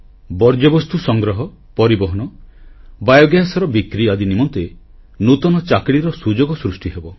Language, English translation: Odia, There will be novel opportunities for newer jobs linked to waste collection, transportation, biogas sales etc